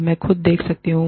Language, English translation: Hindi, I can see myself